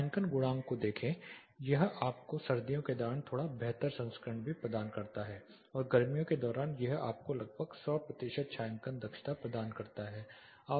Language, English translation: Hindi, Look at the shading coefficient it also provides you slightly improved version during the winters as well and during summer it gives you almost 100 percent shading efficiency